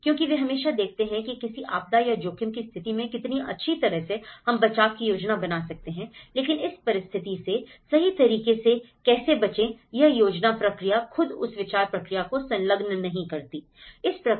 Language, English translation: Hindi, Because they always see that how well at the event of a disaster or risk how well we can plan for rescue but how to avoid this okay, how a planning process itself can engage that thought process in it